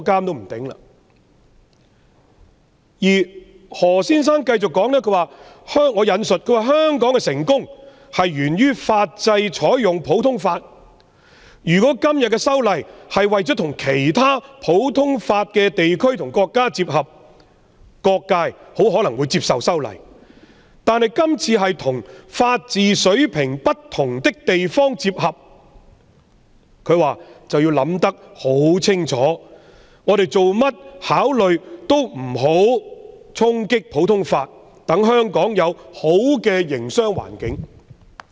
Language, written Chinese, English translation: Cantonese, 我現引述何先生接着的發言：香港的成功源於採用普通法法制，如果是次修例是為了跟其他普通法地區和國家接合，各界很可能會接受；但是次修例旨在與法治水平不同的地方接合，我們便要考慮清楚，切勿衝擊普通法，以便香港保留良好的營商環境。, I cite Mr HOs subsequent remarks as follows Hong Kongs success hinges on the adoption of the common law system . If the legislative amendments introduced this time were to dovetail with other common law jurisdictions they would have been more readily accepted by various sectors in the community . However as the legislative amendments seek to align with the system of places with different levels of rule of law from us we really have to consider carefully